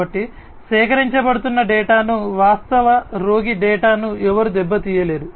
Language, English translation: Telugu, So, nobody should be able to tamper with the data, actual patient data, that is being collected